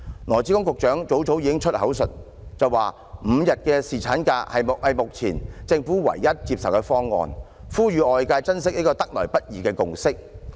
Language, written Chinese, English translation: Cantonese, 羅致光局長早已宣之於口，指5天侍產假是目前政府唯一接受的方案，呼籲外界珍惜這個得來不易的共識。, Secretary Dr LAW Chi - kwong has explicitly asked people to treasure the five - day paternity leave proposal as it is now the only acceptable option to the Government as well as a hard - earned consensus